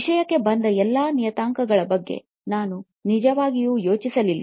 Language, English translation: Kannada, I really did not think about all the parameters that came into thing